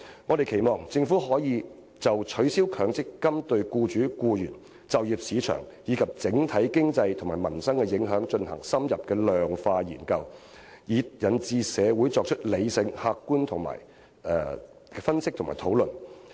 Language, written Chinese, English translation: Cantonese, 我們期望政府可就取消強積金對沖機制對僱主、僱員、就業市場，以至整體經濟和民生的影響進行深入的量化研究，以引導社會作出理性而客觀的分析及討論。, We expect the Government to conduct an in - depth quantitative study on the impact of the abolition of the MPF offsetting mechanism on employers employees employment market as well as the overall economy and peoples livelihood so as to guide the community to engage in rational and objective analyses and discussions